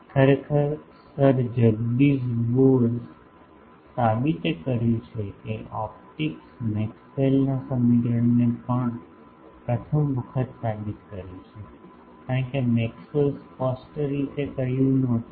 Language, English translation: Gujarati, Actually, Sir Jagadish Bose proved that optics also waves Maxwell’s equation for the first time he proved it because Maxwell did not say that explicitly